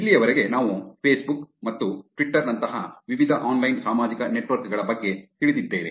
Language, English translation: Kannada, So far we know about various online social networks like Facebook and Twitter